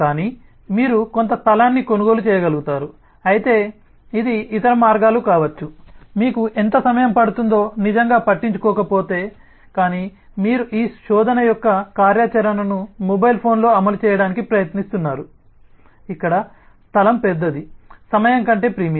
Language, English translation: Telugu, but it could be other ways if you really do not care about how much time it takes, but you are trying to implement the functionality of this search on a mobile phone where space is a bigger premium than time